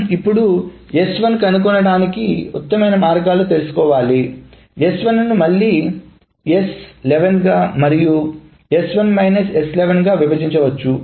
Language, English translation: Telugu, Now what is the best way of finding out S11 is the minimum way of doing S1 and so on so forth